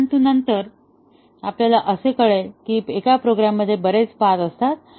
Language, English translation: Marathi, But then, we will see that there are too many paths in a program